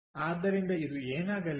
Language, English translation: Kannada, so what is this going to be